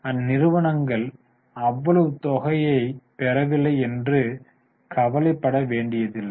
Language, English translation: Tamil, So, don't worry, they are not getting that much of amount